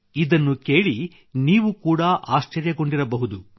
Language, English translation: Kannada, You too would have been surprised to hear this